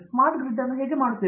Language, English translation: Kannada, How do you do the smart grid